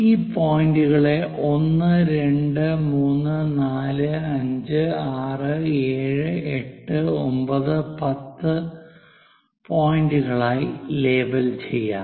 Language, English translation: Malayalam, Let us label them this point is 1, 2, 3, 4, 5, 6, this 7, 8, 9, 10 points